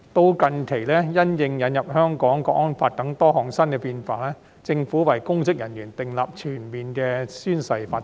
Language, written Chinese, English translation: Cantonese, 直至近期，因應《香港國安法》等多項新變化，政府已為公職人員訂立全面的宣誓規定。, Until recently in response to various new changes including the introduction of the National Security Law the Government has prescribed comprehensive oath - taking requirements for public officers